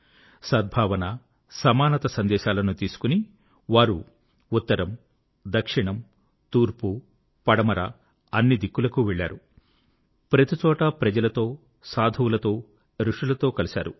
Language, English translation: Telugu, Carrying the message of harmony and equality, he travelled north, south, east and west, meeting people, saints and sages